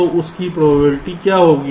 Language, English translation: Hindi, so what will be the probability of that